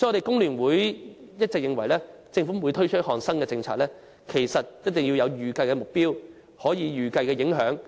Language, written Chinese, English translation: Cantonese, 工聯會一直認為，政府推出新政策前，一定要訂下預計目標和評估影響。, FTU has all along considered that the Government must set an expected target and evaluate the impacts before introducing new policies